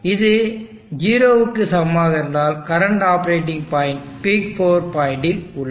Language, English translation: Tamil, So if this parameter is greater than 0, then the current operating point is left to the left of the peak power point